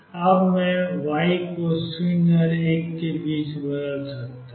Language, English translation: Hindi, Now I can vary y between 0 and 1